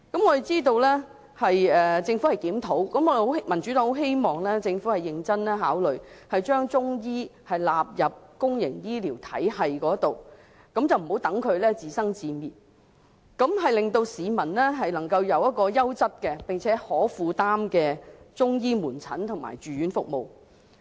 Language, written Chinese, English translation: Cantonese, 我們知道政府會進行檢討，民主黨希望政府認真考慮將中醫納入公營醫療體系，不要讓中醫自生自滅，讓市民可以享有優質而且可以負擔的中醫門診及住院服務。, We understand that the Government will conduct a review . The Democratic Party hopes that the Government will seriously consider incorporating Chinese medicine practitioners into the public health care sector rather than letting them stew in their own juice thus enabling the public to enjoy quality and affordable outpatient and inpatient Chinese medicine services